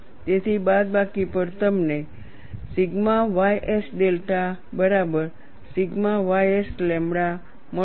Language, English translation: Gujarati, So, on subtraction you get sigma ys delta equal to sigma ys lambda